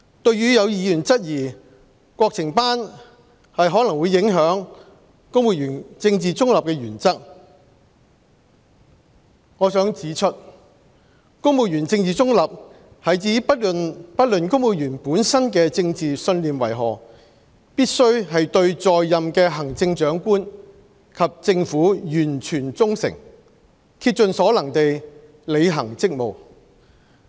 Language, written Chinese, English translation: Cantonese, 對於有議員質疑國情班可能會影響公務員政治中立的原則，我想指出，公務員政治中立是指不論公務員本身的政治信念為何，必須對在任的行政長官及政府完全忠誠，竭盡所能地履行職務。, With regard to Members query on whether national affairs classes would affect the political neutrality principle upheld by the civil servants I would like to point out that civil services political neutrality refers to the obligation for civil servants to serve the Chief Executive and the Government of the day with total loyalty and to the best of their ability no matter what their own political beliefs are